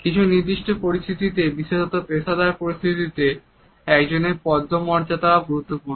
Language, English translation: Bengali, In certain scenarios particularly in professional situations one status is also important